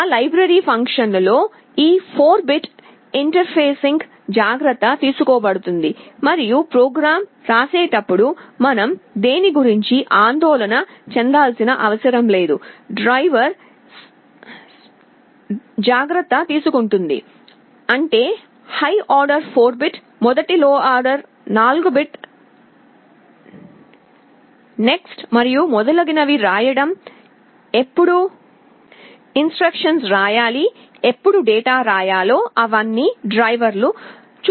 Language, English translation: Telugu, In that library function, this 4 bit interfacing will be taken care of and while writing the program, we need not have to worry about anything, the driver will automatically take care of; that means, writing the high order 4 bit, first low order 4 bit next and so on and so forth, when to write instruction, when to write data those will be taken care of by the driver